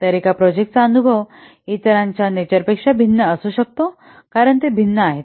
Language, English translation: Marathi, So the experience on one project may not be applicable to the other since the nature they are different